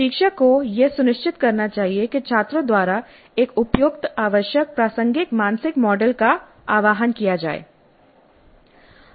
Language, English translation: Hindi, So the instructor must ensure that an appropriate mental model, the required mental model, the relevant mental model is invoked by the students